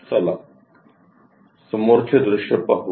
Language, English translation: Marathi, Let us look at front view